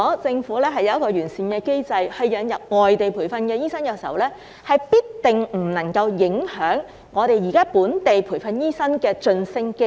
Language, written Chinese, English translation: Cantonese, 政府要有一個完善機制引入外地培訓醫生，必定不能影響現時本地培訓醫生的晉升機會。, The Government has to put in place a sound mechanism for importing non - locally trained doctors without affecting the promotion prospects of existing locally - trained doctors